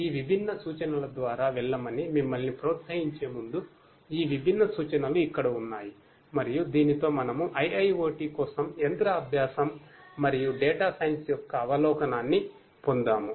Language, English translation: Telugu, Here are these different references like before you are encouraged to go through these different references and with this we come to an end of the getting an overview of machine learning and data science for IIoT